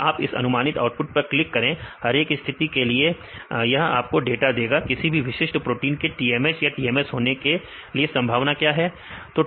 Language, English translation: Hindi, If you click on this output predictions, for each case this will give you the data; what is the probability of the particular protein to be in TMH or in TMS